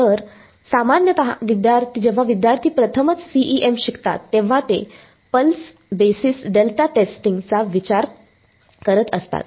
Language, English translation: Marathi, So, usually when student learns CEM for the first time they think pulse basis delta testing